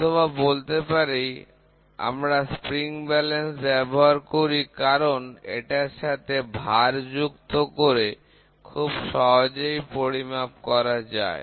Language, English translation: Bengali, Or we use a spring balance, which are easily checked by attaching weight through it